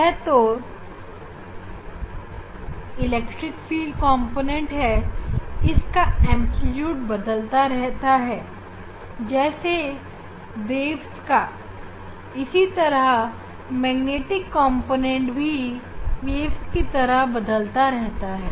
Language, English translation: Hindi, this is the electric field component It is its amplitude this is the amplitude these are varying these are varying like waves and magnetic component also its varying like wave